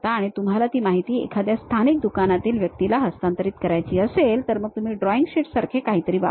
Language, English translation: Marathi, And you want to transfer that information to someone like local shop guy, then the way is you make something like a drawing sheet